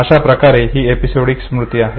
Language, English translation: Marathi, Therefore it is called as episodic memory